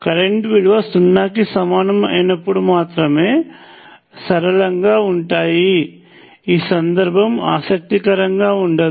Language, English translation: Telugu, Now there will be linear only if the value of the current equals 0 that is not a very interesting case